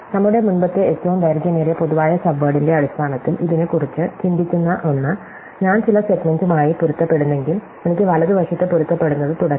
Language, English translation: Malayalam, So, one we have thinking about it in terms of our earlier longest common subword is that I can now, if I match the certain segment, I can continue to match to the right